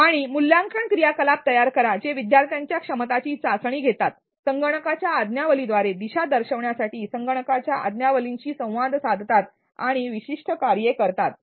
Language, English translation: Marathi, And design assessment activities which test the learners ability to navigate through the software interact with the software and carry out specific tasks